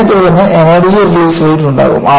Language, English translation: Malayalam, So, this will be followed by Energy Release Rate